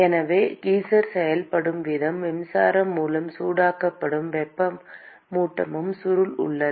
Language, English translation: Tamil, So the way geyser works is there is a heating coil which is electrically heated